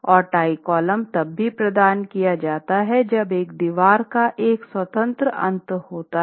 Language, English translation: Hindi, And tie columns are also provided when a wall is has a free end